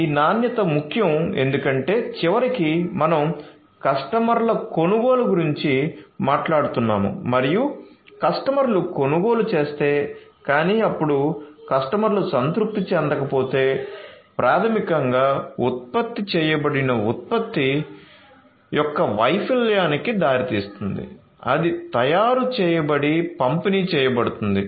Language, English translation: Telugu, So, this quality is important because ultimately we are talking about purchase by the customers and if the customers purchase, but then the customers are not satisfied, then that basically results in the failure of the product that is made that is manufactured and is delivered